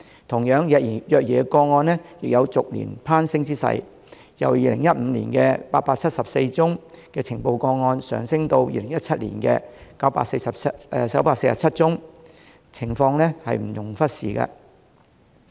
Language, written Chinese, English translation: Cantonese, 同樣，虐兒個案亦有逐年攀升之勢，由2015年的874宗呈報個案，上升至2017年的947宗，情況不容忽視。, Similarly the number of child abuse cases is also on an increasing trend from year to year with the number of reported cases growing from 874 in 2015 to 947 in 2017 . The situation should not be ignored